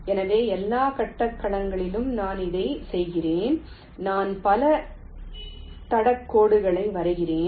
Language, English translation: Tamil, so, across all the grid points i am doing this, i am drawing so many trail lines